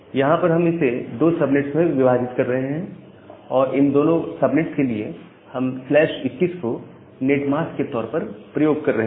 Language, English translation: Hindi, So, what we are doing that whenever we are breaking this entire thing into two subnets, for both the subnets, we are using slash 21 as the netmask